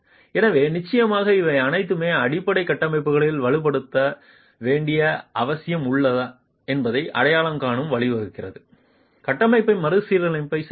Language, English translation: Tamil, So, of course, all this basically leads to identifying whether there is a need to strengthen the structure, need to retrofit the structure